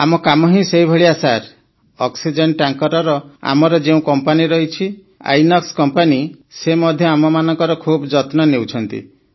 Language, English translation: Odia, Sir, our Company of oxygen tankers, Inox Company also takes good care of us